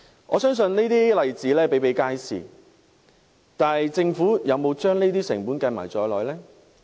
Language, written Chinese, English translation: Cantonese, 我相信這些例子比比皆是，但政府有否將這些成本計算在內呢？, I believe these cases are not uncommon . But has the Government taken such costs into account?